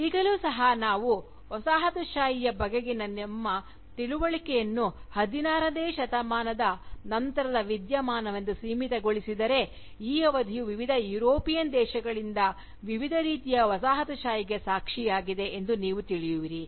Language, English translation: Kannada, Now even, if we chronologically limit our understanding of Colonialism, to being a post 16th century phenomenon, you will realise that, this period, has witnessed different kinds of Colonialism, by different European countries